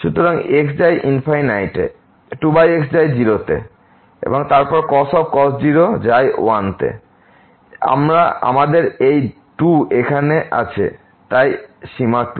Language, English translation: Bengali, So, now if we take the limit here goes to 0 so, the cos 0 is 1 so, 2 by 2 the limit is 1